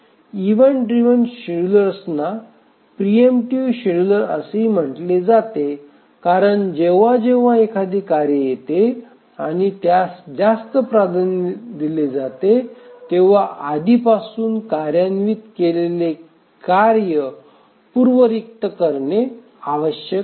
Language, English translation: Marathi, So, the event driven schedulers are also called as preemptive schedulers because whenever a task arrives and it has a higher priority then the task that's already executing needs to be preempted